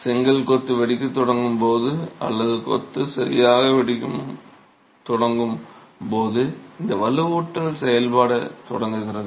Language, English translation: Tamil, This reinforcement starts acting when the brick masonry starts cracking or the masonry starts cracking